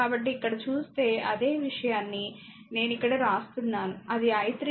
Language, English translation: Telugu, So, if you if you see here, that same thing we are writing that ah i 3 is equal to i 1 plus 0